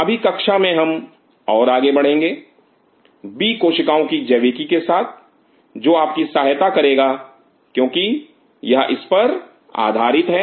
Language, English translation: Hindi, In the next class we will follow further with the biology of B cells which you help you because based on this